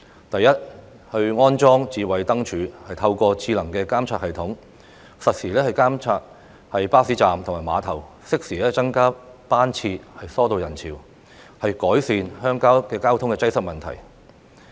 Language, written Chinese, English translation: Cantonese, 第一，安裝"智慧燈柱"，透過智能的監察系統，實時監察巴士站和碼頭，適時增車船加班次疏導人潮，以改善鄉郊的交通擠塞問題。, First smart lampposts should be installed in order to conduct real - time monitoring at bus stops and piers through a smart monitoring system so that the frequencies of bus or ferry services can be increased in a timely manner with a view to facilitating crowd control and improving the traffic congestion in rural areas